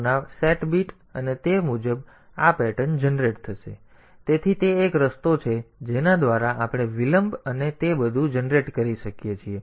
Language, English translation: Gujarati, 2 and accordingly this pattern will be generated, so that is one way by which we can generate delays and all that